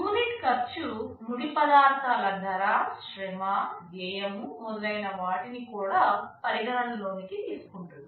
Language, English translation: Telugu, The unit cost will also consider the cost of the raw materials, labor cost, and so on